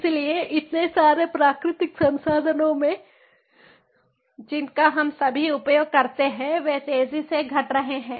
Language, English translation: Hindi, so, in so many different ah natural resources that we all use, these are depleting at fast rate